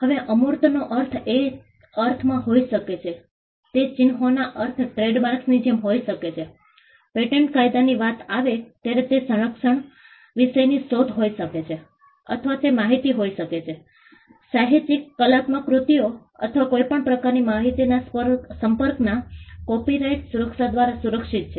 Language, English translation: Gujarati, Now, intangibles itself could mean it could it could amount to ideas, it could mean signs as in the case of trademarks, it could be inventions the subject matter of protection when it comes to patent law or it could be information, literary artistic works or any form of communication of information which is protected by the copyright regime